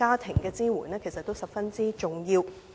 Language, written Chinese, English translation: Cantonese, 這些支援其實十分重要。, Such support is in fact most important